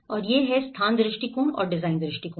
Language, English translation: Hindi, And where the location approach and the design approach